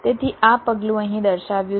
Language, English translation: Gujarati, so this step is shown here